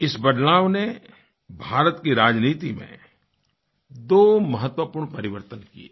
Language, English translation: Hindi, This change brought about two important changes in India's politics